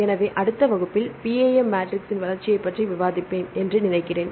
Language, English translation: Tamil, So, I think I will discuss the development of the PAM matrix in next class